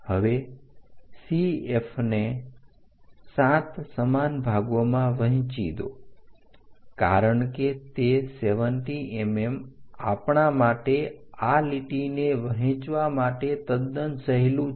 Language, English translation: Gujarati, Now divide CF into 7 equal parts, because it is 70 mm is quite easy for us to divide this line